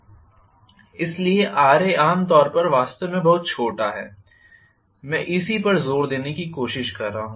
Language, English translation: Hindi, So, Ra is generally, really really small that is what I am trying to emphasise, right